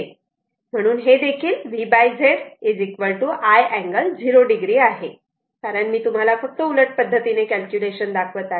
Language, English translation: Marathi, So, this is also V by Z is i angle 0 degree, because I just show you the reverse calculation